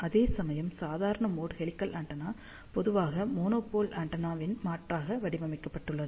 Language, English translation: Tamil, In fact, a normal mode helical antenna almost radiates very similar to a monopole antenna